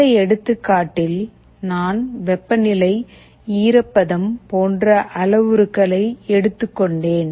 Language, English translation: Tamil, In the example, I took the parameters as temperature, humidity, it can be anything